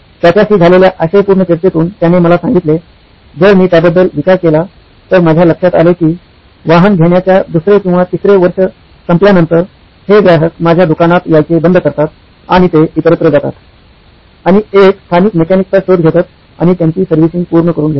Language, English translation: Marathi, So upon grilling, he told me well, if I think about it, it’s I noticed that after say the 2nd or 3rd year of owning of a vehicle, these customers start dropping off coming to my work shop and they go elsewhere, say find a local mechanic and get their servicing done